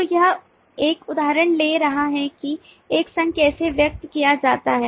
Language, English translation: Hindi, so this is, taking an example, this how an association is expressed